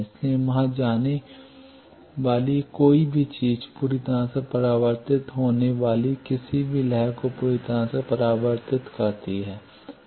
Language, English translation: Hindi, So, that anything going there is fully reflected any wave falling on it fully reflected